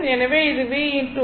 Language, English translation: Tamil, So, this is your v into i